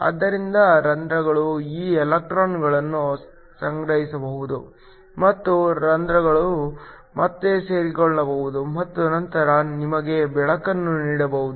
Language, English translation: Kannada, So, holes can accumulate these electrons and holes can recombine and then give you light